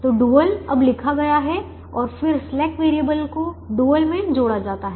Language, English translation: Hindi, so the dual is now written and then the slack variables are added to the dual, so the dual is a